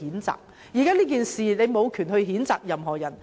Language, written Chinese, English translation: Cantonese, 就今次事件，他們無權譴責任何人。, In this incident they did not have the right to condemn anyone